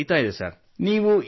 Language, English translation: Kannada, It is in the process